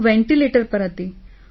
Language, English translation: Gujarati, I was on the ventilator